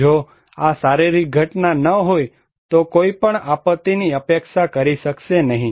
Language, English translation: Gujarati, If this physical event is not there, nobody could expect a disaster